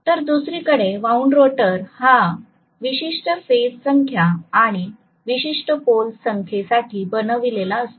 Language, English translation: Marathi, Whereas wound rotor, it is wound specifically for a particular number of phases and particular number of poles